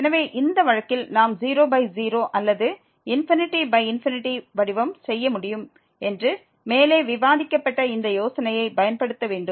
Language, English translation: Tamil, So, in this case we will use this idea which is discussed above that we can make either 0 by 0 or infinity by infinity form